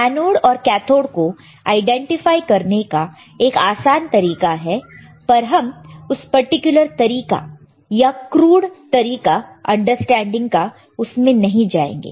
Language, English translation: Hindi, Now, there is an easier way of identifying anode, and cathode, but let us not go in that particular way of crude way of understanding